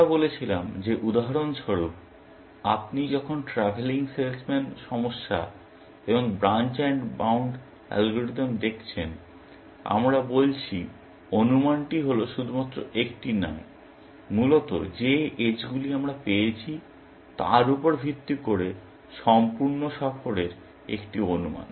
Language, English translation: Bengali, We said that, for example, when you are looking at the travelling salesmen problem, and the branch and bound algorithm, we are saying the estimate is a estimate of full tour, essentially, and not just one, that edges we have found and so on, essentially